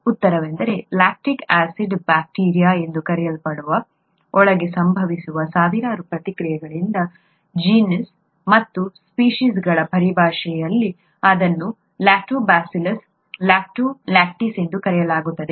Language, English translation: Kannada, The answer is, from some among the thousands of reactions that occur inside what is called the lactic acid bacteria, in the terms of genus and species, it’s called Lactobacillus, Lactococcus Lactis